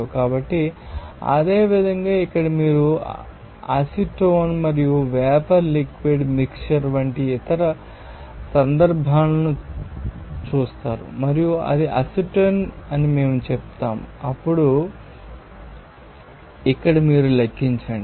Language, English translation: Telugu, So, similarly, here you will see that other cases like a vapor up liquid mixture of acetone, and we tell it I will be acetone then you just calculate here